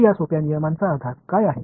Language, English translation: Marathi, So, what is the basis of these simple rules